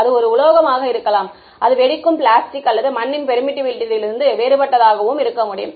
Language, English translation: Tamil, It could be a metal, it could be plastic explosive or whatever is different from the permittivity of mud